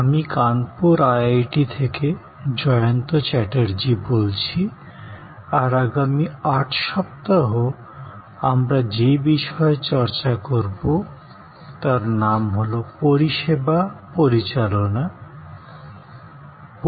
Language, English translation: Bengali, Hi, this is Jayanta Chatterjee from IIT, Kanpur and over the next 8 weeks, I am going to focus on and discuss with you interactively about Managing Services